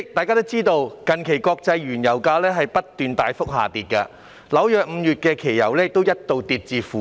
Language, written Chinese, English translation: Cantonese, 代理主席，近期國際原油價格不斷大幅下跌，紐約5月期油更一度跌至負點數。, Deputy President recently international crude oil prices have been reducing significantly . In May New York Crude Oil Futures Price once dropped to negative